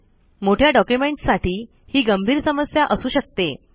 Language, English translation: Marathi, This could be a bigger problem for large documents